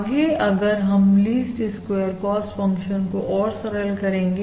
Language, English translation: Hindi, to simplify this: least squares cost function